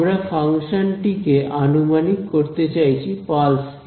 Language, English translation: Bengali, We are trying to approximate this function in terms of pulses